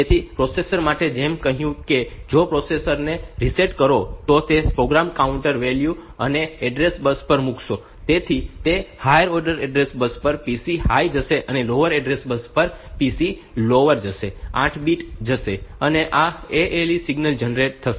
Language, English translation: Gujarati, So, the processor so, as I said that if you reset the processor, if you reset the processor, then it will be it will be putting this program counter value on to the address bus; so it will on the higher order address bus the PC high will go lower order address bar bus the PC l the lower order 8 bits will go, and this ALE signal will be generated